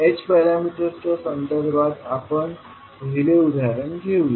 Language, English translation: Marathi, Let us take first the example in case of h parameters